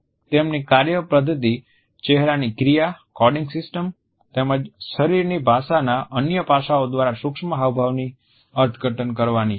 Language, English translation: Gujarati, Their methodology is to interpret micro expressions through facial action, coding system as well as other aspects of body language